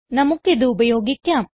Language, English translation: Malayalam, Let us use it now